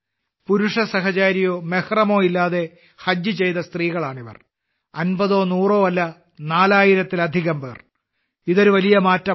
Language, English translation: Malayalam, These are the women, who have performed Hajj without any male companion or mehram, and the number is not fifty or hundred, but more than four thousand this is a huge transformation